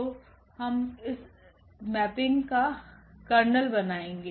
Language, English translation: Hindi, So, this will form the kernel of this mapping